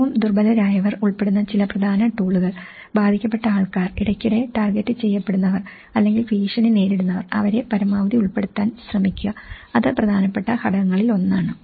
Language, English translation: Malayalam, Some of the key tools, involving the most vulnerable so, who are all affected, who are frequently targeted or who are under threat, try to involve them as much as possible that is one of the important step